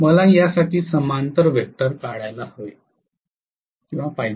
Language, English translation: Marathi, So I have to essentially draw a parallel vector to this